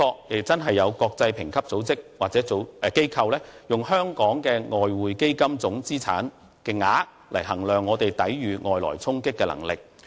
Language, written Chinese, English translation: Cantonese, 無可否認，有些國際評級機構或組織也的確以香港的外匯基金資產總額來衡量我們抵禦外來衝擊的能力。, Undeniably some international credit rating agencies or organizations look at the size of Hong Kongs Exchange Fund in assessing our capacity in withstanding external shocks